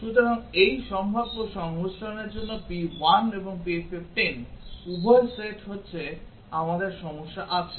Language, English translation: Bengali, So, for this possible combination p 1 and p 15, both getting set we have the problem